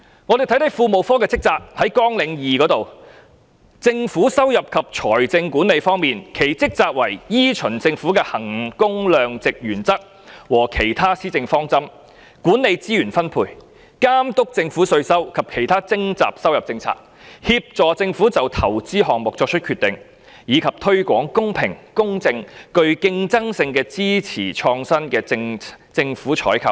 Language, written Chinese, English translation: Cantonese, 我們看看庫務科的職責，在綱領2中，政府收入及財政管理方面，其職責為"依循政府的衡工量值原則和其他施政方針，管理資源分配，監督政府的稅收及其他徵集收入政策，協助政府就投資項目作出決定，以及推廣公開、公平、具競爭性和支持創新的政府採購"。, Let us look at the duty of the Treasury Branch . In Programme 2 concerning Revenue and Financial Control its duty is to manage the allocation of resources; oversee the Governments tax and other revenue - raising policies; facilitate decisions on government investments; and promote open fair competitive and pro - innovation government procurement in line with the value for money principles and other policy objectives of the Government